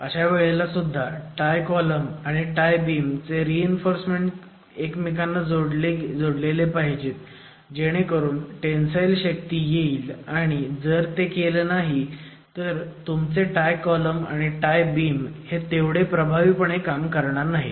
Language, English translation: Marathi, Again, it is required that the steel reinforcement of the tie columns and the tie beams are integrated such that the necessary tensile strength is achieved and that detailing if not provided your tie columns and your tie beams are not going to act as efficient or effective tie elements